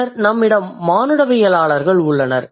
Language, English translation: Tamil, Then we have anthropologists